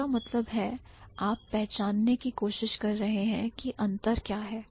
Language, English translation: Hindi, So, that means you are trying to identify what are the differences